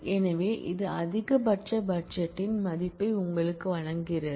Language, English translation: Tamil, So, this gives you the value of the maximum budget